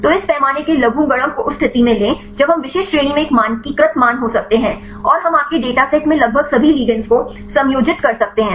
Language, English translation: Hindi, So, take this logarithmic of the scale right in that case we can be a standardized values in specific range, and we can accommodate almost all the a ligands right in your dataset